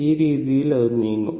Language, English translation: Malayalam, So, it is moving like this